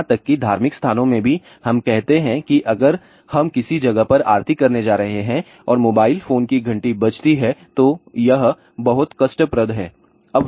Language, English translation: Hindi, Even in religious places ah let us say if we are going to some place to do and some mobile phone rings, it is very annoying